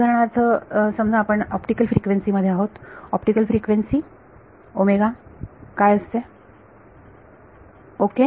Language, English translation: Marathi, For example supposing you are in optical frequencies; optical frequencies what is omega ok